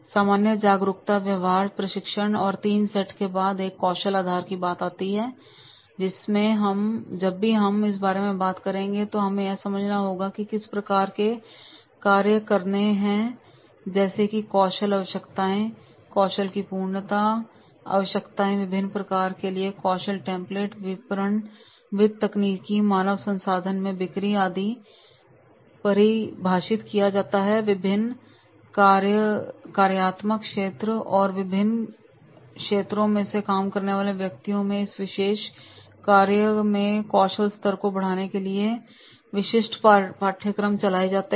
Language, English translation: Hindi, The third set after the general awareness behavior training and the third set and that is the skill based wherein whenever we talk about that is the we have to understand what type of the jobs are to be done then the skill requirement perfection of the skill requirement the skill template for the different functions sales and technical, HR, among others are defined and the specific courses are run to enhance the skill level in this particular functions of the different functional areas and the persons, those who are working into different areas, marketing, finance, technical and HR, they are supposed to develop their competency